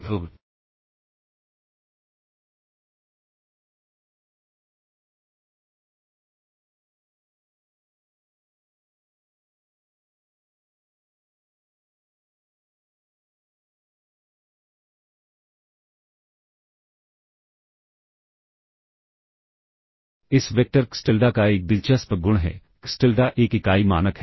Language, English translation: Hindi, So, this vector xTilda has an interesting property; xTilda is a unit norm